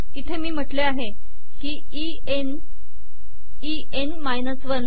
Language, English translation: Marathi, For example here I have said E N, E N minus 1